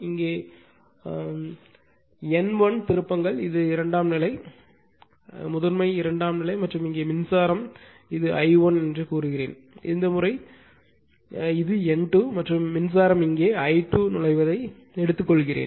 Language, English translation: Tamil, And trans here it is N 1, and this is my secondary side, right primary secondary side and here also say current say this is I 1 turn this turn this is the N 2 and say current is here it is I 2